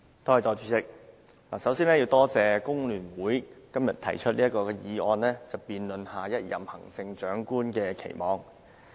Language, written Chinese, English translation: Cantonese, 代理主席，首先多謝工聯會今天提出這項議案，辯論對下任行政長官的期望。, Deputy President first of all I wish to thank the Hong Kong Federation of Trade Unions FTU for moving todays motion debate about expectations for the next Chief Executive